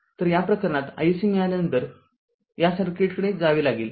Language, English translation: Marathi, So, in this case if you got I I SC, then we have to go to this circuit